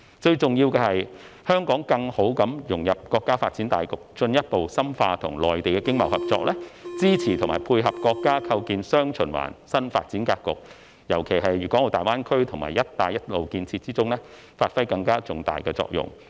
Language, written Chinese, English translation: Cantonese, 最重要的是香港更好地融入國家發展大局，進一步深化與內地的經貿合作，支持和配合國家構建"雙循環"新發展格局，尤其是在粤港澳大灣區和"一帶一路"建設中發揮更重大的作用。, Most importantly Hong Kong must better integrate into the overall development of the country further deepen its economic and trade cooperation with the Mainland support and complement the countrys establishment of a new development pattern featuring dual circulation and particularly play a more significant role in the Guangdong - Hong Kong - Macao Greater Bay Area and the Belt and Road Initiative